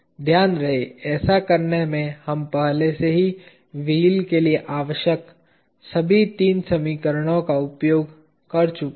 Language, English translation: Hindi, Mind you, in doing that, we have already used up all the 3 equations necessary for the wheel